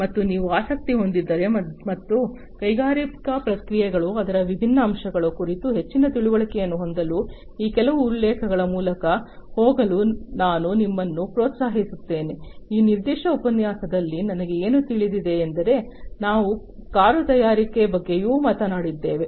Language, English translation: Kannada, And if you are interested, and I would encourage you in fact to go through some of these references to have further understanding about the industrial processes, the different aspects of it, what are the I know in this particular lecture, we have talked about the car manufacturing